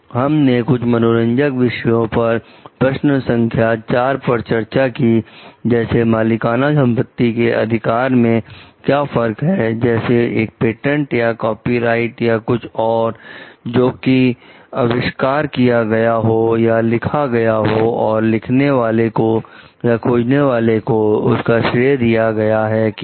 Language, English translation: Hindi, We discussed some small interesting topics in key question 4, like what is the difference in having prorate property right, such as a patent or copyright or something one which is invented or written, and credit for having written or invented it